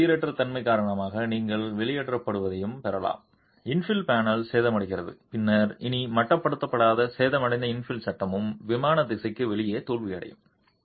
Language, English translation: Tamil, You can also get expulsion due to the random nature of shaking infill panel gets damaged and then the damaged infill panel which is no longer confined can also fail in the out of plane direction